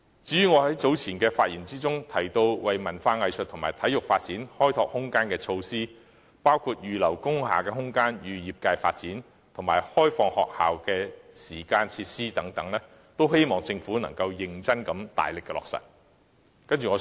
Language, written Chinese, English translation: Cantonese, 關於我在早前的發言中所提及為文化藝術和體育發展開拓空間的措施，包括預留工廈空間予業界發展及開放學校的時間和設施等，均希望政府能認真加大力度，予以落實。, I also hope that the Government will enhance its effort to implement the measures of opening up more room for the development of culture arts and sports which I mentioned in my earlier speech including earmarking room in industrial buildings for the development of such industries and granting them access to school facilities during designated hours